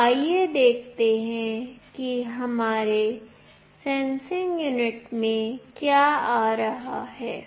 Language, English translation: Hindi, So, let us see what is coming here in our sensing unit